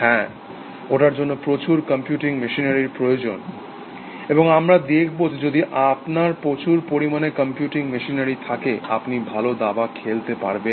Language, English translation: Bengali, Yes, it requires lot of computing machinery, and we will see that, if you have a lot of computing machinery, you can play good chess